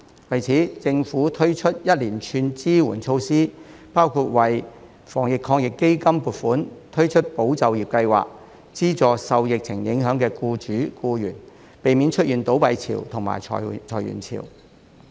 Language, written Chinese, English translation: Cantonese, 為此，政府推出了一連串支援措施，包括為防疫抗疫基金撥款，推出"保就業"計劃，資助受疫情影響的僱主、僱員，避免出現倒閉潮及裁員潮。, In response the Government has introduced a series of support measures including allocating funding for the Anti - epidemic Fund and launching the Employment Support Scheme so as to provide assistance for employers and employees affected by the epidemic and prevent a wave of business closures and layoffs